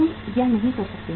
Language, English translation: Hindi, You cannot do it